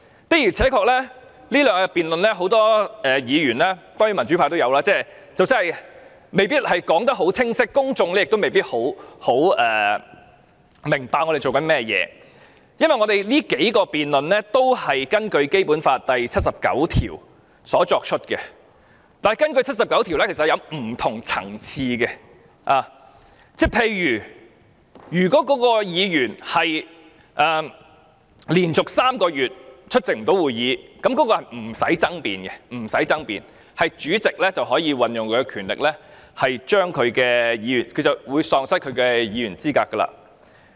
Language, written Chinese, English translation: Cantonese, 的而且確，這兩天的辯論有很多議員——當然包括民主派議員——即使說得很清晰，公眾也未必明白我們在做甚麼，因為我們這數項辯論也是根據《基本法》第七十九條作出的，但第七十九條是有不同適用情況的，例如如果該議員連續3個月不出席會議，那是不用爭辯的，主席可以運用權力宣告該議員喪失其議員資格。, True the public may not understand what we certainly including democratic Members were debating in these two days though we might have already explained in detail . Our debate is based on Article 79 of the Basic Law which is applicable under several different circumstances such as when a Member is absent from meetings for three consecutive months . Under such a circumstance the President shall declare that the Member is no longer qualified for the office and this decision is incontestable